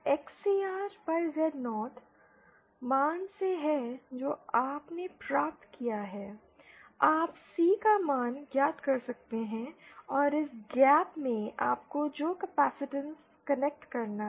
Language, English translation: Hindi, This XCR upon Z0 is by the way from this XCR upon Z0 value that you obtained, you can find out the value of C that is the capacitance you have to connect in this gap